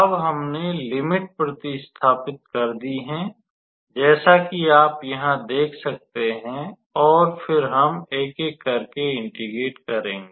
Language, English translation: Hindi, Now, we have substituted the limits as you can see here, and then we will integrate one by one